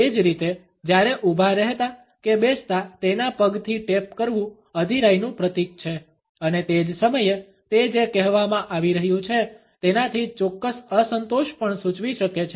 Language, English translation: Gujarati, Similarly, while standing or sitting tapping with ones foot symbolizes impatience and at the same time it may also suggest a certain dissatisfaction with what is being said